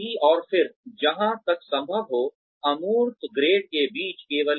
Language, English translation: Hindi, And then, avoid abstract grades, as far as possible